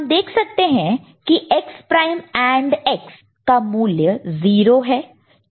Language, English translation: Hindi, You can see that X prime AND X it will become 0